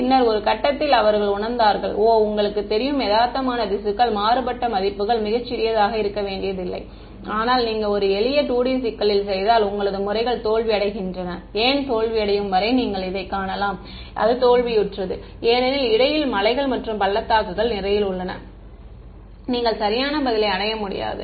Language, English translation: Tamil, And then at some point they realized oh you know realistic tissue need not have very small values of contrast, but are methods are failing you can because you made a simple 2 D problem you can you can see this until why it is failing; its failing because there are so many hills and valleys in between that you are not able to reach the correct answer